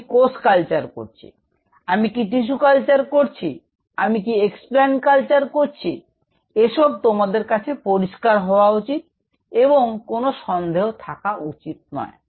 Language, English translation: Bengali, I am doing cell culture; am I doing tissue culture, am I doing explants culture, it should be very clear to you there should not be any room for any ambiguity